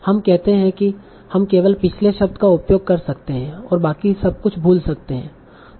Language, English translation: Hindi, We say, okay, we can probably use only the previous word and forget about everything else